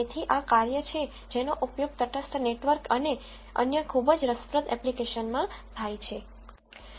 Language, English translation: Gujarati, So, this is the function that is used in neutral networks and other very interesting applications